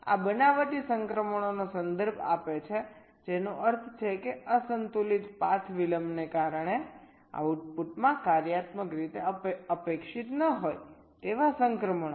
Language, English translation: Gujarati, these refer to spurious transitions, that means transitions which are functionally not expected to happen in the output due to unbalanced path delays